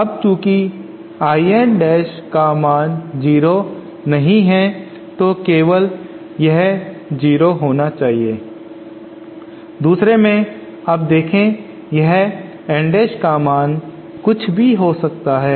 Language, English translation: Hindi, Now since I n dash is non 0 so then only this thing should be 0 in other now look this N dash can be any value